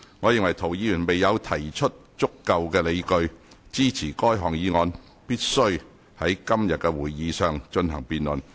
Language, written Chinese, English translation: Cantonese, 我認為涂議員未有提出足夠理據，支持該項議案必須在今天的會議上進行辯論。, In my opinion Mr TO has not given sufficient grounds to support the absolute necessity of debating this motion at the meeting today